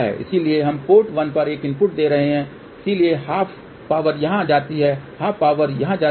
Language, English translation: Hindi, So, let us see what happens now so we are giving a input at port 1, so half power goes here half power goes here